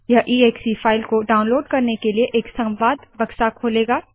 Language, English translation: Hindi, This will open a dialog to download the exe file